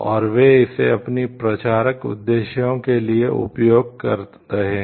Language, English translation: Hindi, And they are using it for their promotional purposes